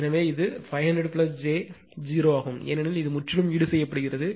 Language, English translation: Tamil, Therefore, it is 500 plus j 0 because this one is totally compensated by this one right